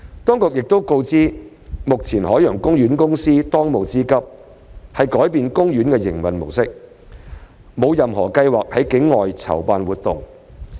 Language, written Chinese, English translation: Cantonese, 當局亦告知，海洋公園公司的當務之急是改變其營運模式，沒有任何計劃在境外籌辦活動。, The authorities have also advised that the current priority of OPC is to change its mode of operation and it does not have any plans to organize activities outside Hong Kong